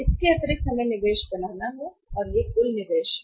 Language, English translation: Hindi, This much of addition investment we have to make and this is the total investment will be making